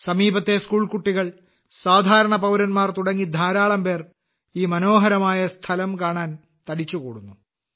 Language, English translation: Malayalam, School children from the neighbourhood & common citizens throng in hordes to view this beautiful place